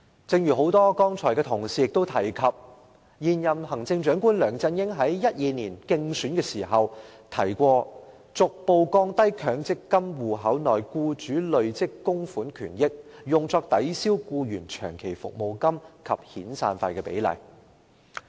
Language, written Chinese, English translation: Cantonese, 正如多位同事剛才提到，現任行政長官梁振英在2012年競選時曾提出："逐步降低強積金戶口內僱主累積供款權益用作抵銷僱員長期服務金及遣散費的比例"。, As mentioned by a number of Honourable colleagues earlier on the incumbent Chief Executive LEUNG Chun - ying stated during the election campaign in 2012 that he would adopt measures to progressively reduce the proportion of accrued benefits attributed to employers contribution in the MPF account that can be applied by the employer to offset long service or severance payments